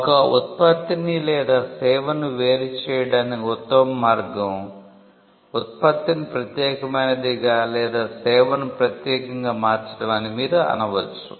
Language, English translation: Telugu, You may say that, the best way to distinguish a product or a service is by making the product unique or the service unique